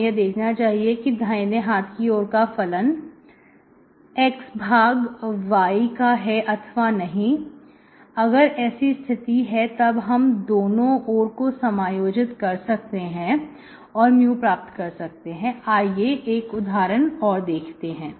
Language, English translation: Hindi, This is what, so you have to see whether this right hand side functions is function of x by y or not, if that is the case, I can integrate both sides and get my mu, okay